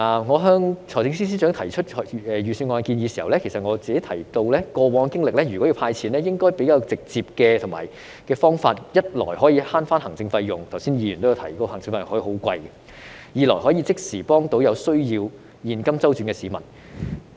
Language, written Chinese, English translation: Cantonese, 我向財政司司長提出預算案的建議時，也有提到過往的經歷，要"派錢"就應該採用較直接的方法，一來可以節省行政費用，因為剛才有議員提到行政費用可以很昂貴；二來可以即時幫助有需要現金周轉的市民。, When I proposed my suggestions on the Budget to FS I mentioned that in view of past experience if the Government intended to give handouts a more direct approach should be used . First this could save administrative costs because just as some Members said earlier such costs could be very high . Second this could immediately help the people with cash flow problems